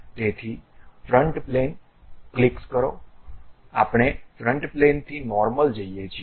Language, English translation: Gujarati, So, front plane click, normal to front plane we go